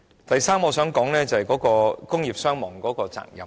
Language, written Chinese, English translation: Cantonese, 第三，我想談談工業傷亡的責任。, Thirdly I wish to talk about the responsibility for industrial injuries and fatalities